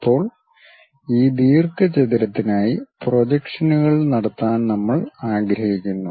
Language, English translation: Malayalam, Now, we would like to have projections for this rectangle